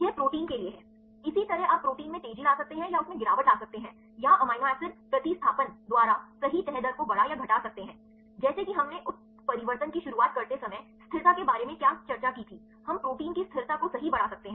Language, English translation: Hindi, These are for the proteins likewise you can also accelerate or decelerate the protein or increase or decrease the folding rate right by amino acid substitutions like what we discussed about the stability right when introducing a mutation; we can enhance the stability of proteins right